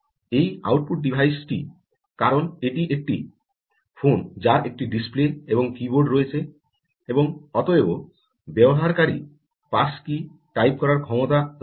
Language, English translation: Bengali, this output device, because this is a phone, has a display and keyboard and therefore has the ability ah by this user to type the pass key